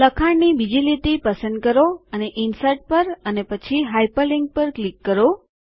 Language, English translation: Gujarati, Select the second line of text and click on Insert and then on Hyperlink